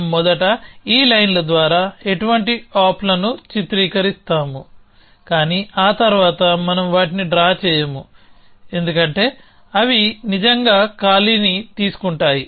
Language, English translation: Telugu, So, we will depict no ops by these lines like this initially, but we will not draw them after that because they really take up to a space